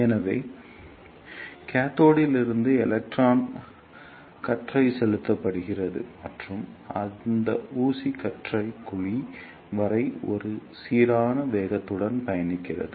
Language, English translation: Tamil, So, electron beam is injected from the cathode and that injected beam travel with a uniform velocity till the cavity